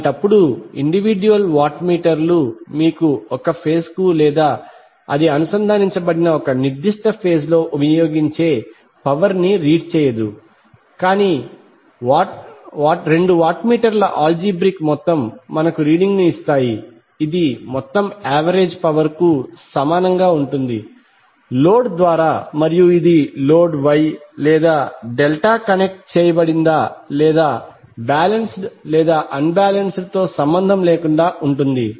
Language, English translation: Telugu, So in that case the individual watt meters will not give you the reading of power consumed per phase or in a particular phase where it is connected, but the algebraic sum of two watt meters will give us the reading which will be equal to total average power absorbed by the load and this is regardless of whether the load is wye or Delta connected or whether it is balanced or unbalanced